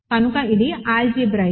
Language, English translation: Telugu, So, it is algebraic